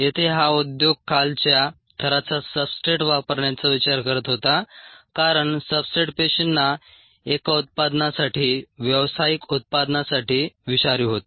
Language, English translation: Marathi, this industry was a looking at ah using low levels of substrate, because the substrates was toxic to the cells for their one, a product, commercial product